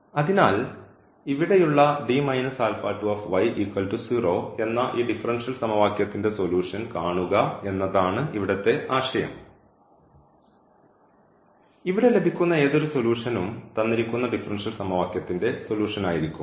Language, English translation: Malayalam, So, that is the idea here that we look a solution of this differential equation here D minus alpha 2 y is equal to 0 and whatever solution we get here that will be also a solution of this given differential equation